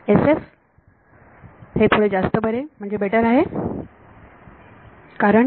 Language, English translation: Marathi, SF is much better because